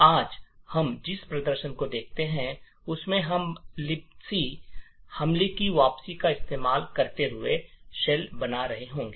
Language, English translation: Hindi, In the demonstration that we see today, we will be creating a shell using the return to libc attack